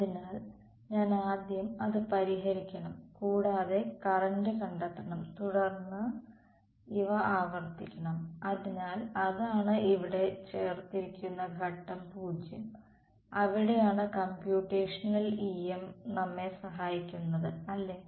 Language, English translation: Malayalam, So, I have to solve and find out the current first then repeat these; so, that is the step 0 added over here, and that is where computational EM helps us ok